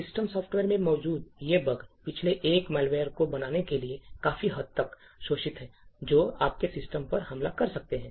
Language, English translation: Hindi, So, these bugs present in system software have been in the past exploited quite a bit to create a malware that could attack your system